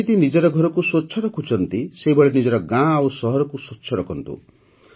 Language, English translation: Odia, Just as you keep your houses clean, keep your locality and city clean